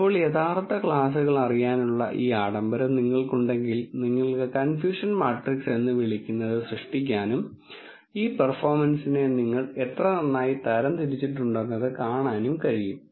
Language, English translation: Malayalam, Now, when you have this luxury of knowing the true classes, you can generate what is called confusion matrix and see how well you have classified this performing